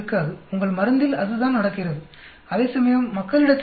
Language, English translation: Tamil, And that is what is happening in your drug, whereas people also